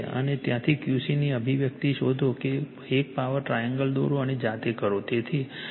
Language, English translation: Gujarati, And from there you find out the expression of Q c right you draw a power triangle and you do yourself